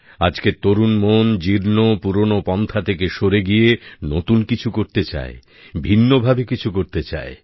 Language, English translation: Bengali, And today's young minds, shunning obsolete, age old methods and patterns, want to do something new altogether; something different